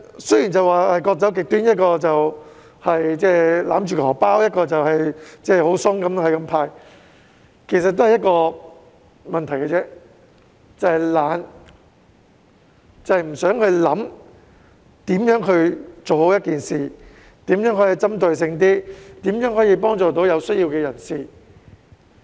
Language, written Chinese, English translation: Cantonese, 雖然各走極端，一方面是勒緊"荷包"，另一方面是"派錢"鬆手，但其實只有一個問題，就是懶，不願思考如何做好一件事，如何令政策更具針對性，如何可以幫助有需要的人等。, Although the Government goes to extremes in being either too stingy or too generous the problem essentially lies in indolence . It is unwilling to think about how to do a good job how to make its policies more targeted or how to help the people in need